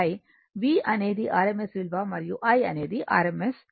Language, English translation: Telugu, V is the rms value, and I is the rms value